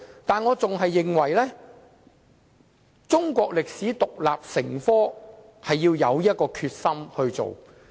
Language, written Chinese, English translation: Cantonese, 但是，我仍然認為，中史獨立成科需要有決心推動。, However I maintain that we must be determined to promote the teaching of Chinese history as an independent subject